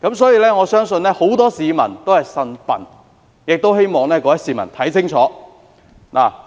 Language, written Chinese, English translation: Cantonese, 所以，我相信很多市民都"呻笨"，亦希望各位市民看清楚。, As such I believe many people are complaining for being cheated and I also hope that people have discerning eyes